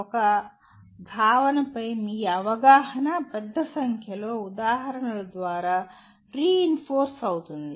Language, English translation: Telugu, Your understanding of a concept can be reinforced by a large number of examples